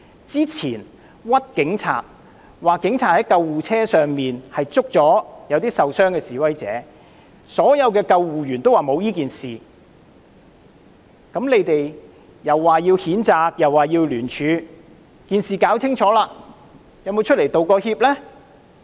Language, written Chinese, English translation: Cantonese, 之前冤枉警察說警察在救護車上拘捕受傷的示威者，所有的救護員也說沒有此事，你們又說要譴責和聯署，但在事情弄清楚後，有否出來道歉呢？, Regarding the rumour in which the Police were wrongly accused of arresting injured protesters on ambulances which was flatly denied by all ambulance personnel they first threatened to issue a condemnation and launch a public petition but once the matter was sorted out did they come forward to tender apologies?